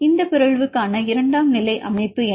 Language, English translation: Tamil, What is secondary structure for this mutant